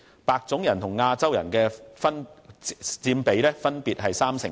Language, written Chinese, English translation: Cantonese, 白種人和亞洲人分別佔區內人口的三成多。, Caucasians and Asians each account for more than 30 % of the population in the region